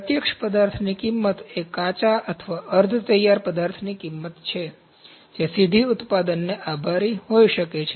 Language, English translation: Gujarati, Direct material cost is the cost of raw or semi finished material that can be directly attributed to the product